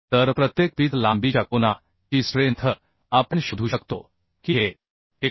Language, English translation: Marathi, 25 So strength of angle per pitch length we can find out this will become 89